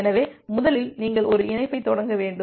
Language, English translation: Tamil, So, first you have to initiate a connection